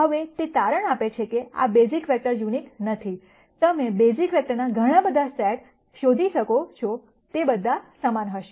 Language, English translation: Gujarati, Now it turns out these basis vectors are not unique, you can find many many sets of a basis vectors, all of which would be equivalent